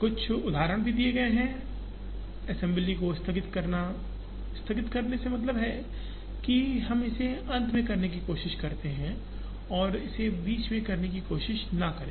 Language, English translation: Hindi, Some examples are also given, postponing the assembly, postponing is trying to do it in the end and not to try and do it in the middle